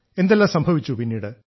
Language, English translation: Malayalam, How did all of this happen